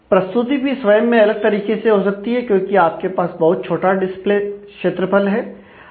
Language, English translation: Hindi, The presentation itself may happen in a different way, you have a very limited display area